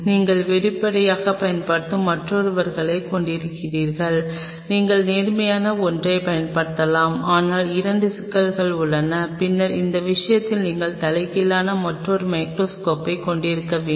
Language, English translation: Tamil, And you have the other people who will be using on a transparent either you can use the upright one, but the problem there are issues with upright one 2, then in that case you have to another microscope which is inverted